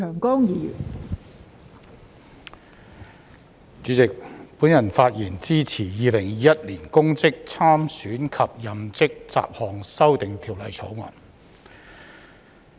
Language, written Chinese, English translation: Cantonese, 代理主席，我發言支持《2021年公職條例草案》。, Deputy President I speak in support of the Public Offices Bill 2021 the Bill